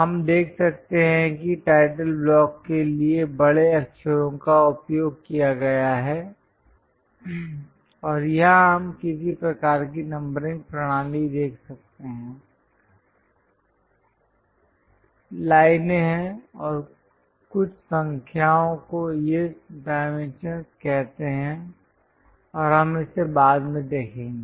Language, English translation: Hindi, We can see that capital letters have been used for the title block and here we can see some kind of numbering kind of system, there are lines and some numbers these are called dimensions and we will see it later